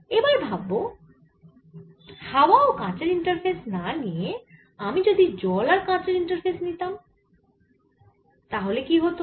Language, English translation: Bengali, what if, instead of taking air and glass interface, if i took water glass interface